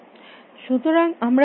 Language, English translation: Bengali, So, what is what are we saying